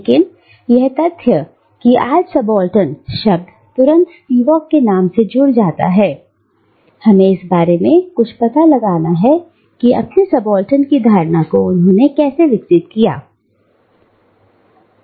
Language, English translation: Hindi, But the very fact that today the word subaltern immediately conjures up the name of Spivak, tells us something about the impact that Spivak had on elaborating the notion of the subaltern